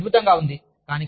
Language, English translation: Telugu, It is wonderful